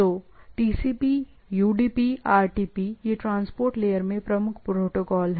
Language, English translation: Hindi, So, there are TCP, UDP, RTP and these are the predominant protocol in the transport layer, right